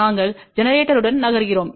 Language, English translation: Tamil, We are moving along the generator